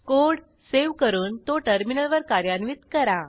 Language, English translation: Marathi, Lets save the code and execute it on the terminal